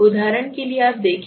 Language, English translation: Hindi, For example you see